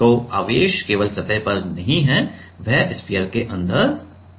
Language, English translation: Hindi, So, the charge is not on the surface only it is inside the sphere also right